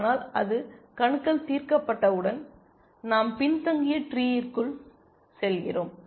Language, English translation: Tamil, But once it is solved nodes, we go into the backward tree essentially